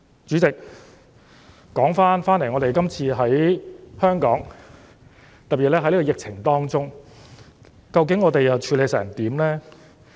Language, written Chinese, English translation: Cantonese, 主席，說回香港，特別是今次疫情當中，究竟我們又處理得怎樣呢？, President coming back to Hong Kong and particularly in this epidemic how have we performed in handling the crisis?